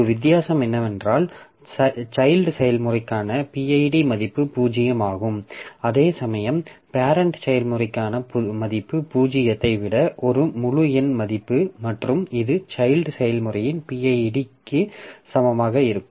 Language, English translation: Tamil, The only difference is that the value of PID for the child process is 0 while that for the parent is an integer value greater than 0 and which happens to be equal to the PID of the child process